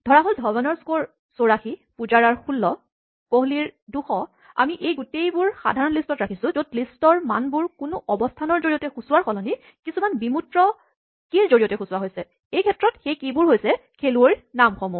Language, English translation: Assamese, So, DhawanÕs score is 84, PujaraÕs score is 16, KohliÕs score is 200, we store these all in a more generic list where the list values are not indexed by position, but by some more abstract key in this case the name of the player